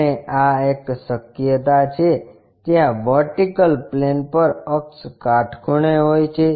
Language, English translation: Gujarati, And this is one possibility, where axis perpendicular to vertical plane